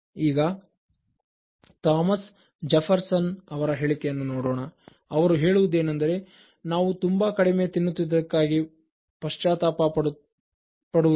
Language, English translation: Kannada, And look at the next famous quote from Thomas Jefferson, he says: “We never repent of having eaten too little